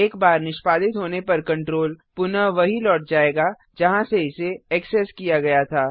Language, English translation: Hindi, Once executed, the control will be returned back from where it was accessed